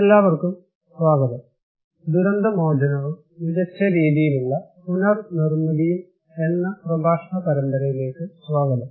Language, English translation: Malayalam, Hello everyone, we will discuss, welcome to this lecture series on disaster recovery and build back better